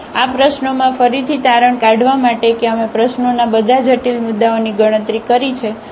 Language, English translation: Gujarati, So, in this problem again to conclude that we have computed all the critical points of the problem